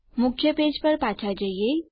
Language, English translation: Gujarati, Lets go back to the main page